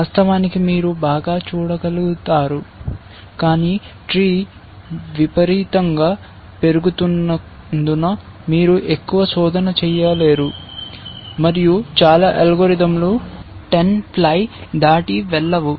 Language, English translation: Telugu, Of course, the farther you can see the better, but because the tree is growing exponentially, you cannot do too much search and most algorithms do not go beyond 10 ply also essentially